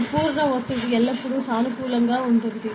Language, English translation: Telugu, So, the absolute pressure will always be positive ok